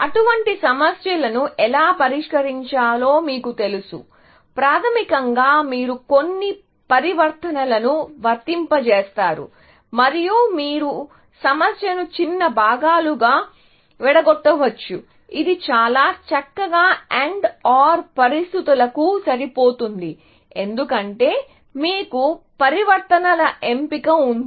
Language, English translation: Telugu, You know how to solve such problems is that basically, you apply some transformations and may be, you break up the problem into smaller parts, something that would fit very nicely into the AND OR situations, because you have a choice of transformations to make